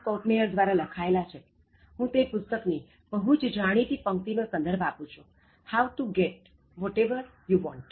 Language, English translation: Gujarati, Kopmeryer, I just refer to his most famous lines from the book, How to Get Whatever You Want